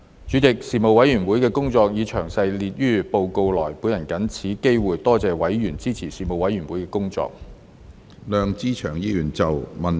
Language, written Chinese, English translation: Cantonese, 主席，事務委員會的工作已詳列於報告內，我藉此機會多謝委員支持事務委員會的工作。, President the details of the work of the Panel are set out in its report and I would like to take this opportunity to thank members for their support of the work of the Panel